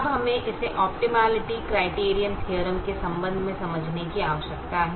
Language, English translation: Hindi, now we need to understand this with respect to the optimality criterion theorem